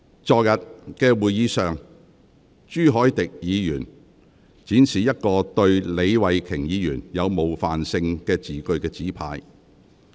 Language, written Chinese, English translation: Cantonese, 在昨天的會議上，朱凱廸議員展示一個寫有對李慧琼議員具冒犯性字句的紙牌。, At yesterdays meeting Mr CHU Hoi - dick displayed a placard with offensive words about Ms Starry LEE